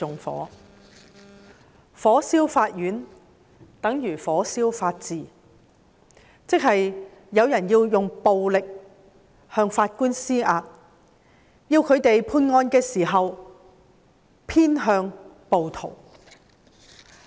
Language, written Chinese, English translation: Cantonese, 火燒法院，等如火燒法治，即是有人要用暴力向法院施壓，要法官在判案時偏向暴徒。, Burning court premises is tantamount to burning the rule of law . That means some people are imposing pressure on the courts with violence compelling the judges to be biased in favour of rioters when making judgments